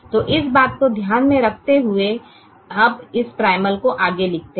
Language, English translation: Hindi, so with this in mind, let us now write this primal further